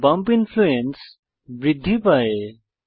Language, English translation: Bengali, The bump influence is increased